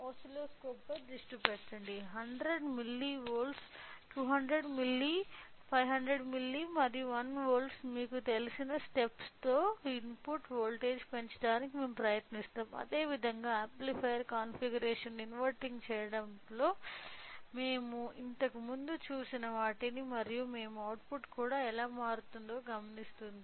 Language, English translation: Telugu, So, let focus on oscilloscope, we will try to increase the input voltage with a steps of you know with a 100 milli, 200 milli, 500 milli and 1 volt at the same way whatever we have seen the previously in inverting amplifier configuration and we will observe what how the output is also be changing